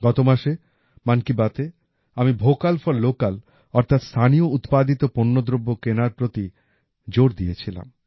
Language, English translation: Bengali, Last month in 'Mann Ki Baat' I had laid emphasis on 'Vocal for Local' i